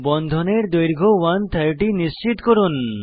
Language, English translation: Bengali, Ensure that bond length is around 130